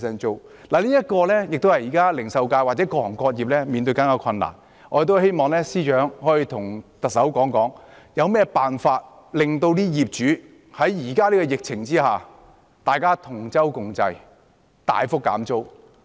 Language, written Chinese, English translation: Cantonese, 這也是零售界或各行各業正在面對的困難，我們希望司長可以與特首商討有何辦法令業主在現時的疫情下願意同舟共濟，大幅減租。, As the retail industry and various trades and industries are also facing the same plight we implore the Financial Secretary to discuss with the Chief Executive the ways to secure substantial rent cuts by landlords so as to ride out this difficult time together